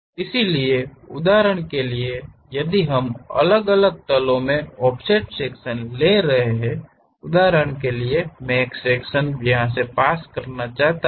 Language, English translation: Hindi, So, for example, if we are taking offset sections at different planes; for example, I want to pass a section goes, goes, goes, goes